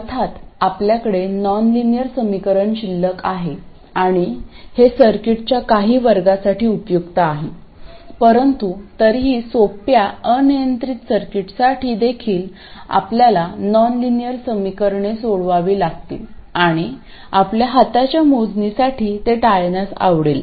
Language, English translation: Marathi, Of course we are still left with a nonlinear equation and this is useful for certain classes of circuits but still even for simple arbitrary circuits you have to solve nonlinear equations and we would like to avoid that for hand calculations